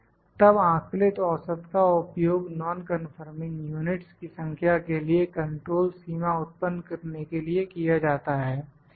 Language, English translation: Hindi, Then the estimated average is then used to produce control limit for the number of non conforming units